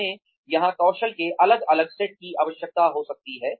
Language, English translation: Hindi, We may need a different set of skills here